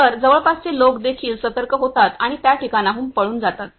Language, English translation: Marathi, So, nearby people also get an alert and also flee from the that place